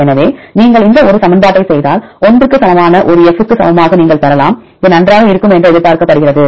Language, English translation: Tamil, So, again if you do this a equation, you can get the equal to one F equal to 1 this is expected that is fine